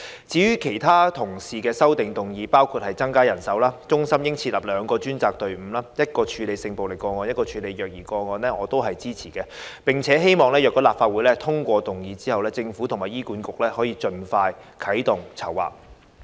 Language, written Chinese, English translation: Cantonese, 至於其他同事的修正案，包括增加人手、中心應設立兩個專責隊伍，一個處理性暴力個案，一個處理虐兒個案，我都支持，並希望如果立法會通過議案，政府及醫院管理局盡快啟動籌劃。, In regard to the amendments of other Members with recommendations which include increasing manpower and forming a crisis support centre with two professional teams one dedicated to handling sexual violence cases whereas the other dedicated to handling child abuse cases I also give my support . It is also my hope that once the motion is carried by the Legislative Council the Government and the Hospital Authority can start planning as soon as possible